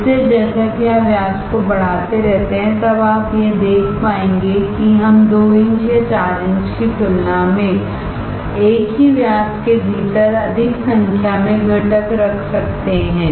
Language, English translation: Hindi, So, as you keep on increasing the diameter, then you will be able to see that we can have more number of component within the same diameter compared to 2 inch or compared to 4 inch